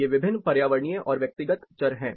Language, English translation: Hindi, These are different environmental and personal variables